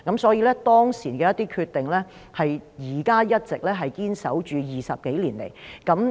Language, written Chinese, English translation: Cantonese, 所以，當時的一些決定 ，20 多年來一直堅守至今。, So some decisions made at that time have been upheld for more than two decades so far